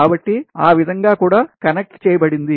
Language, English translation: Telugu, so that thing also connected